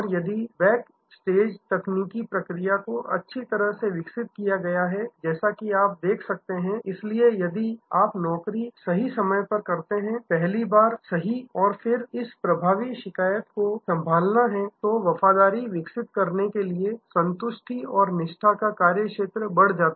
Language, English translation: Hindi, If you have developed the back stage technical process well, as you can see therefore, if you do the job right time, right the first time and then, there is this effective complaint handling, then there is a increase satisfaction and scope for developing loyalty